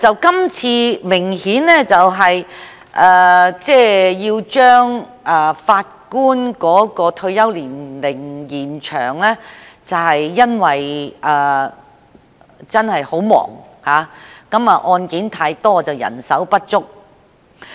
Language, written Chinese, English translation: Cantonese, 今次把法官的退休年齡延展，是因為法官真的十分忙碌，案件太多但人手不足。, This extension of the retirement age of Judges is proposed because the Judges are really very busy . They have a tremendous caseload but manpower is in short supply